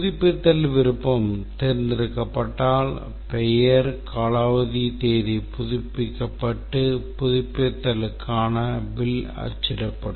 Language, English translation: Tamil, If the renewal option is chosen then and then the name represents a valid member, then the expiry date is updated and the bill for the renewal is printed